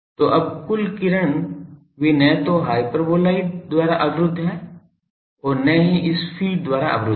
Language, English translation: Hindi, So, now the total ray they are neither blocked by the hyperboloid nor blocked by this feed